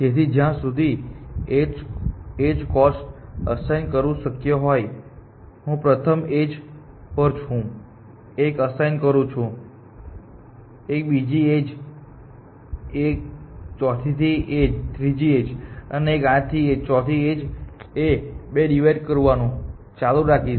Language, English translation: Gujarati, So, it is possible to assign edges, edge cost for example, I will assign 1 to the first edge, half to the second edge, one fourth to the third edge 1 8 to the fourth edge and keep dividing by 2